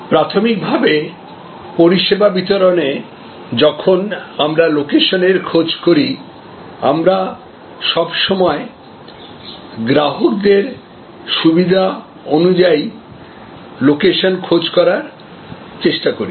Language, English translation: Bengali, So, fundamentally therefore in service distribution, when we look at location, we always try to determine the location in terms of the consumer convenience